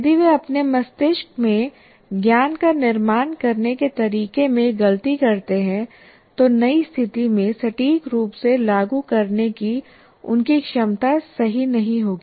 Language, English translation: Hindi, If they make mistakes in the way they're constructing the knowledge in their brain, then what happens is their ability to apply accurately in a new situation will not be, will not be right